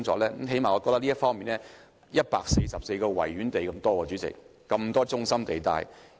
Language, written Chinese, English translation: Cantonese, 主席，本港的軍事用地佔地有144個維多利亞公園之多，而且都在中心地帶。, President the military sites in Hong Kong have a total area as big as 144 Victoria Parks and they are all situated in the city centre